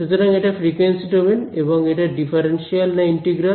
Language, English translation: Bengali, So, it is frequency domain and it is a differential or integral